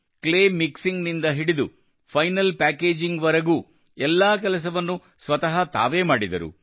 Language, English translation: Kannada, From Clay Mixing to Final Packaging, they did all the work themselves